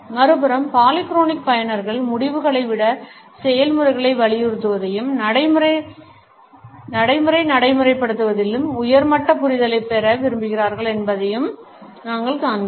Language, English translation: Tamil, On the other hand we find that polychronic users emphasize process over results and prefer to gain a high level of understanding over a practical implementation